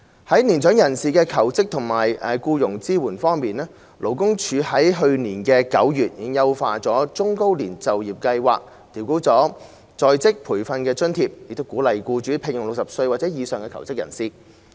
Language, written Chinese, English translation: Cantonese, 在年長人士求職及僱傭支援方面，勞工處去年9月已優化中高齡就業計劃，調高在職培訓津貼，鼓勵僱主聘用60歲或以上求職人士。, In respect of support for mature persons in job seeking and employment the Labour Department LD already enhanced the Employment Programme for the Elderly and Middle - aged in September last year by adjusting upward the training allowance to encourage employers to hire job seekers aged 60 or above